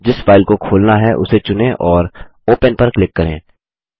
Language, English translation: Hindi, Select the file you want to open and click Open